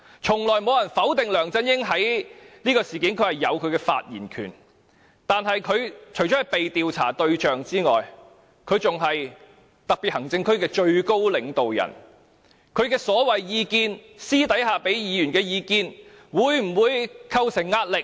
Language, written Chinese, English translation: Cantonese, 從來沒有人否定梁振英在這事件中有發言權，但他除了是被調查的對象外，更是特別行政區的最高領導人，他私底下給議員所謂意見會否構成壓力？, No one has ever denied that LEUNG Chun - ying has the right to speak on this issue . However as he is the highest leader of the HKSAR apart from being the subject of inquiry; will his advice given to a Member in private exert pressure on that Member?